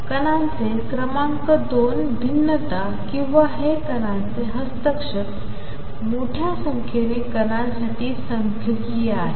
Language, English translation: Marathi, Number 2 diffraction of particles or this is same as interference of particles is statistical for a large number of particles